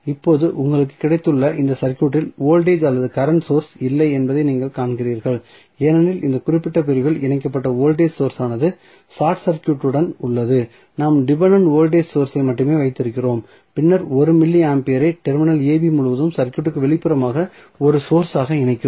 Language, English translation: Tamil, So, now, you have got this circuit, you see in this circuit, there is no voltage or current source because the connected voltage source in this particular segment is short circuited; we are left with only the dependent voltage source and then we are connecting 1 milli ampere as a source external to the circuit across terminal AB